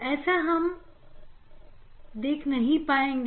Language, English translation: Hindi, that may not be able to see